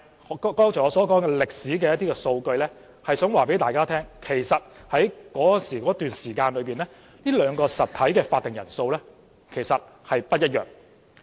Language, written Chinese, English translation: Cantonese, 我剛才說出歷史數據，是想告訴大家，在這段時間這兩個實體的會議法定人數是不一樣的。, By quoting such historical data I would like to tell Members that the quorum of the two entities in such periods were different